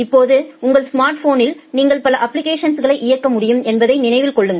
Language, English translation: Tamil, Now, remember that in your smartphone you can run multiple applications